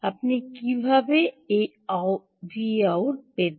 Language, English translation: Bengali, how do you get to this v out